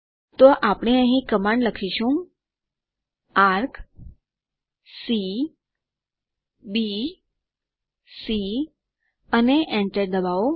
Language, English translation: Gujarati, So we will type the command here Arc[c,B,c], and hit enter